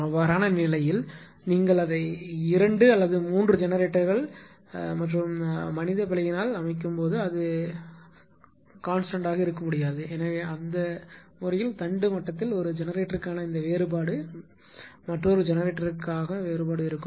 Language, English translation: Tamil, In that case when you set it ah for two or 3 generators and human error maybe maybe there, right ; so, it cannot be const to same in that case shaft level these difference for one generator will be different another generator it will be different